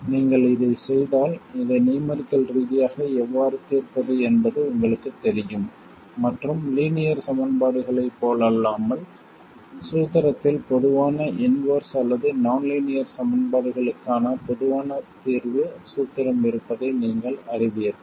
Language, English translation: Tamil, So if you do then you know how to solve this numerically and you know that unlike linear equations there is no general inversion formula or general solution formula for nonlinear equations